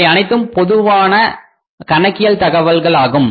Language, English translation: Tamil, Quickly this is all the general accounting information